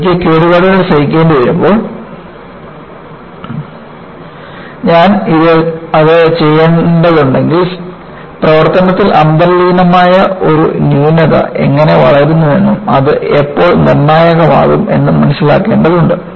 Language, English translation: Malayalam, So, when I have to have damage tolerance, if I have to do that, it requires an understanding of how an inherent flaw grows in service and when does it become critical